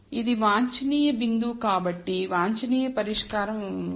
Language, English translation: Telugu, So, this is the optimum point so, the optimum solution is 1